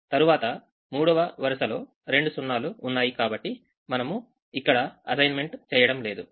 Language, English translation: Telugu, the third row has two zeros, so don't make an assignment